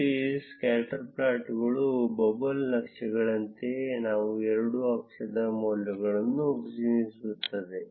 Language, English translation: Kannada, And just like these scatter plots, bubble charts, they represent values on both the axis